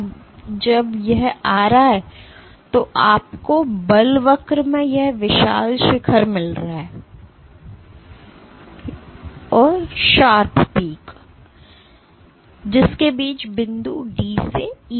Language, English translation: Hindi, Now while it is coming up you get this huge peak in force curve between which is point D to E